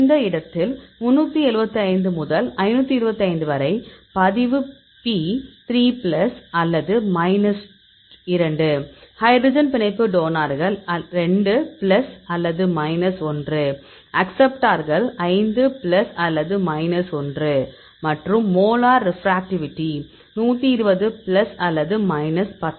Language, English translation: Tamil, In this case; 375 to 525; log P 3 plus or minus 2; hydrogen bond donors 2 plus or minus 1; acceptors 5 plus or minus 1 and the molar refractivity 120 plus or minus 10